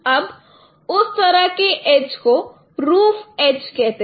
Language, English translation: Hindi, Now those kind of edges are called roof edges